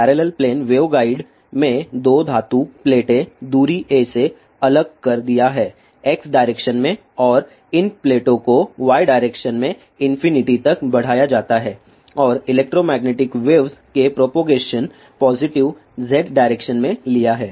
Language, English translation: Hindi, In parallel plane waveguide there are two metallic plates separated by a distance a in X direction and these plates are extended to infinity in Y direction and the direction of a propagation of electromagnetic wave is taken in positive Z direction